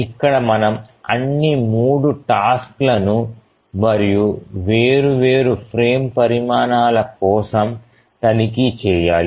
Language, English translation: Telugu, So that we need to do for all the three tasks for the different frame sizes